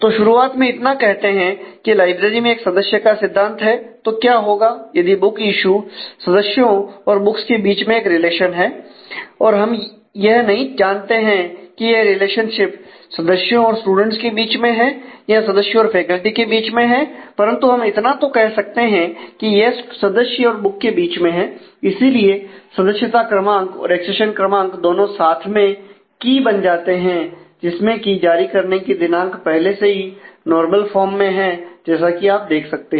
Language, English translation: Hindi, So, what if the book issue is a relation simply between the members and the and the books of course, we do not know the relationship between members and students or members and faculty, but we can at least refine the book issue to be between member and the book and therefore, member number and accession number together becomes the key which determines the date of issue this is already in normal form as you can see